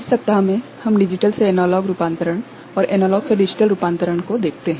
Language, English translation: Hindi, In this week, we look at Digital to Analog Conversion and Analog to Digital Conversion